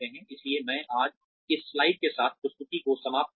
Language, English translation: Hindi, So, I will end the presentation with this slide today